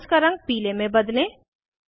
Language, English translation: Hindi, Change the color of all the bonds to yellow